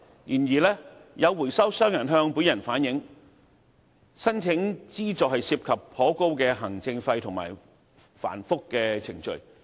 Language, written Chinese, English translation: Cantonese, 然而，有回收商向本人反映，申請資助涉及頗高的行政費和繁複的程序。, However some recyclers have relayed to me that the application for subsidies involves rather high administration fees and complicated procedure